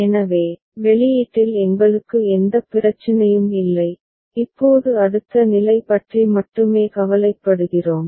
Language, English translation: Tamil, So, we do not have any problem with the output, now we are only bothered about the next state ok